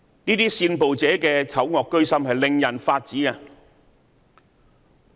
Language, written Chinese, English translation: Cantonese, 這些煽暴者的醜惡居心，令人髮指！, The evil intentions of these violence inciters are very ugly and outrageous